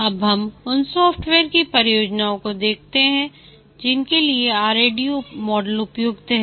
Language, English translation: Hindi, Now let's look at the software projects for which the RAD model is suitable